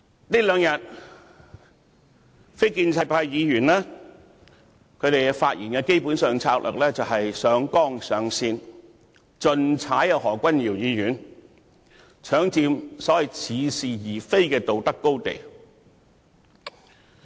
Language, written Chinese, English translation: Cantonese, 這兩天非建制派議員發言的策略，基本上是上綱上線，要盡力批判何君堯議員，搶佔似是而非的所謂道德高地。, The tactics adopted by these non - establishment Members in their speeches in these two days are basically to blow the matter out of proportion . They have made their utmost effort to criticize Dr Junius HO for seizing the so - called moral high ground